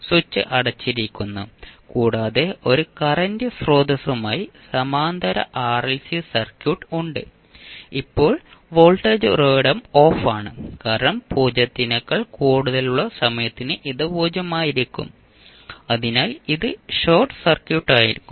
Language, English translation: Malayalam, Now for time t greater than 0 what will happen the switch is now closed and we have Parallel RLC Circuit with a current source now voltage source is off because for time t greater then 0 this will be 0 so it means that it will be short circuit